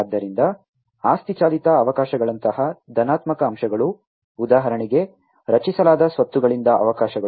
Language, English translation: Kannada, So, positive aspects such as asset driven opportunities, opportunities out of the assets that are created for instance